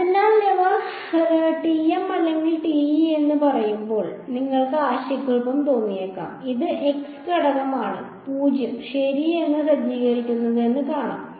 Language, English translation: Malayalam, So, you might find it confusing when they say TM or TE just see which of the z component is being set to 0 ok